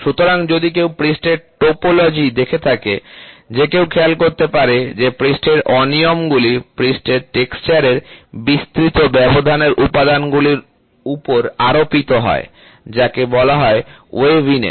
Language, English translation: Bengali, So, if one takes a look at the topology of a surface, one can notice it that surface irregularities are superimposed on a widely spaced component of surface texture called waviness, ok